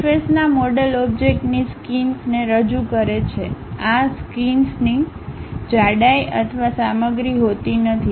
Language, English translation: Gujarati, A surface model represents skin of an object, these skins have no thickness or the material